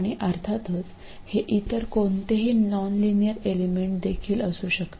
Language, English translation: Marathi, And of course this could be any other nonlinear element as well